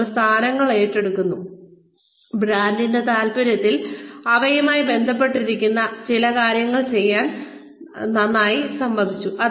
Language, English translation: Malayalam, Many times, we take up positions, we agreed to doing certain things, in the interest of the brand, that they may be associated with